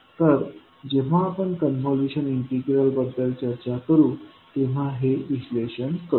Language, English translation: Marathi, So, this we will analyze when we'll discuss about convolution integral